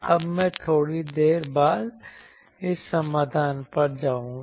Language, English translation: Hindi, Now, I will come to this solution a bit later